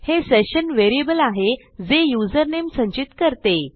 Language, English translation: Marathi, This is our session variable holding our users user name